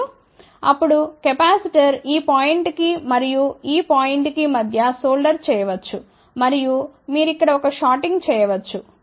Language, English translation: Telugu, And, then the capacitor can be soldered between this and this and you can do a shorting over here ok